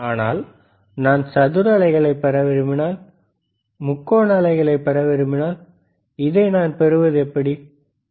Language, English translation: Tamil, bBut what if I want to get square wave, what if I want to get triangular wave, how can I get this